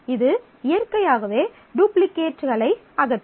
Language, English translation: Tamil, It will naturally eliminate duplicates